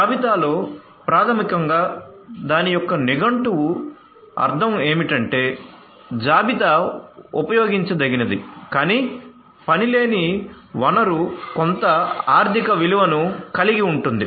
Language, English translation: Telugu, So, in inventory basically the dictionary meaning of it is that inventory is a usable, but idle resource having some economic value